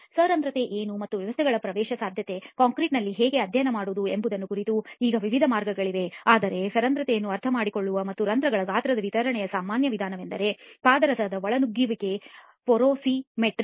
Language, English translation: Kannada, Now there are various ways of understanding of what porosity is and how to actually study the permeability of the systems in concrete, but one of the common methods of understanding porosity and the distribution of the pores size is mercury intrusion porosimetry